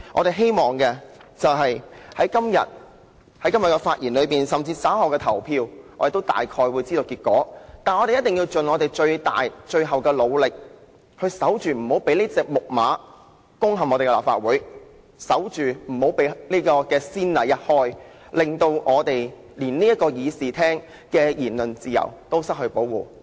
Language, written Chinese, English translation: Cantonese, 雖然對於這項議案稍後投票的結果，我們亦心裏有數，但我們仍希望藉着發言，盡最大和最後努力守着防線，守着不要開先例，以免這隻"木馬"攻陷立法會，令議員在議事廳享有的言論自由都失去保障。, Although we know very well the result of the voting on this motion to be conducted in a moment we still hope to through our speeches make the utmost and ultimate efforts to hold the line of defence and avoid setting a precedent so that the Trojan horse would not storm the Legislative Council and Members would not lose the protection of their freedom of speech in the Chamber